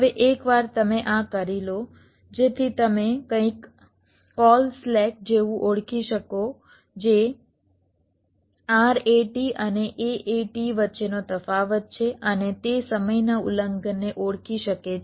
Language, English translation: Gujarati, now, once you do this, so you can identify something call slack, which is the difference between rat and aat, and that can identify the timing violations for some cell